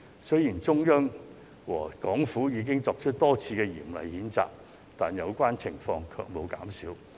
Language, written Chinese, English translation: Cantonese, 雖然中央和港府已多次作出嚴厲譴責，但有關情況卻沒有減少。, Despite the many severe condemnations coming from the Central Authorities and the Hong Kong Government those situations have not mitigated